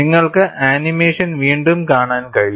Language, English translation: Malayalam, And you can see the animation again